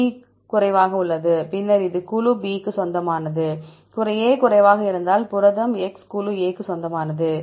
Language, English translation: Tamil, B is less, then this belongs to group B, if A is less, then the protein x belongs to group A